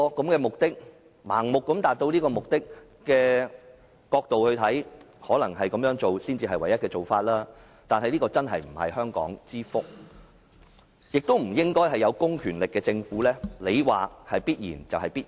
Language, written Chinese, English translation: Cantonese, 為盲目地達到目的，這可能是唯一做法，但真的不是香港之福，亦不應該是有公權力的政府說是必然就是必然。, This may be the only way to achieve its goal blindly but it is really not going to do Hong Kong any good nor it should be up to the Government with public powers to say the final word